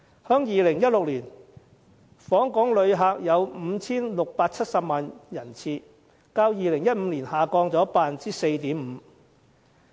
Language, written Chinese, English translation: Cantonese, 在2016年，訪港旅客有 5,670 萬人次，較2015年下跌 4.5%。, In 2016 the number of visitor arrivals in Hong Kong was 5.67 million representing a fall of 4.5 % as compared with 2015